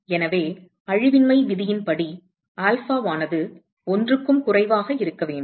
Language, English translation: Tamil, So, from the conservation rule, alpha has to be less than 1